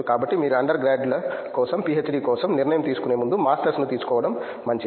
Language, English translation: Telugu, So, you for undergrads you better take up master before deciding for a PhD